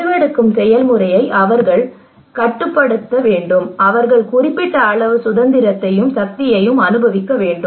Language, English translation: Tamil, They should control the decision making process they should enjoy certain amount of freedom and power